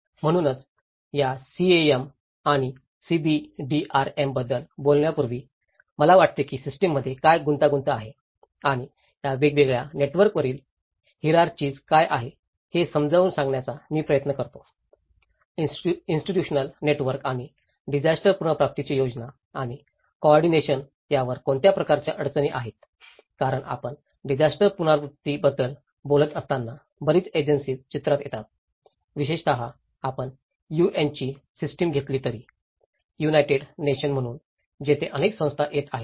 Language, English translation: Marathi, So, before we talk about these CAM and CBDRM, I think I will try to explain you what are the complexities within the system and the hierarchies on these different networks; the institutional networks and what are the kind of constraints on coordination and planning of a disaster recovery because when we talk about disaster recovery, a lot of agencies comes into the picture especially, even if you take the system of UN; United Nations so, there been a number of bodies coming